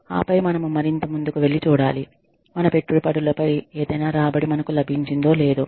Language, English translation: Telugu, And then, we go further and see, whether we have got, any return on our investments